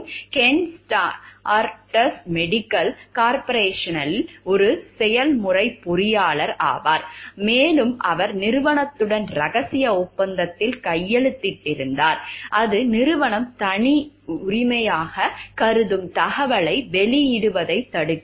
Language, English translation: Tamil, So, we will discuss a small case over here and like Ken is a process engineer for Stardust Chemical Corporation and he has signed a secrecy agreement with the firm that prohibits his divulging information that the company considers proprietary